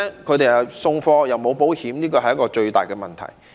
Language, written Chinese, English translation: Cantonese, 他們送貨又沒有保險，這是最大的問題。, The lack of any insurance coverage in the delivery process is the biggest problem